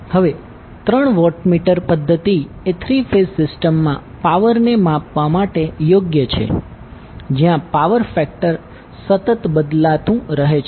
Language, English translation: Gujarati, Now these three watt meter method is well suited for power measurement in a three phase system where power factor is constantly changing